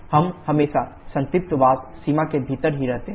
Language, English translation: Hindi, We are always staying within the saturated vapour limit